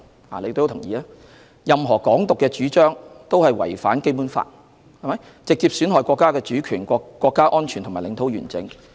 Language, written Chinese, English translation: Cantonese, 大家也會同意，任何"港獨"主張均違反《基本法》，直接損害國家主權、國家安全及領土完整。, We all agree that any advocacy of Hong Kong independence violates the Basic Law and directly undermines the sovereignty national security and territorial integrity of our country